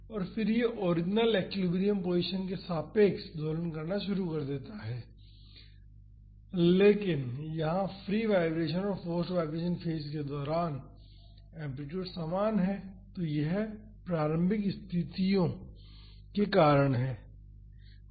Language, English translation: Hindi, And, then it starts oscillating about the original equilibrium position, but here the amplitude is the same during the free vibration and the forced vibration phase so, that is because of the initial conditions here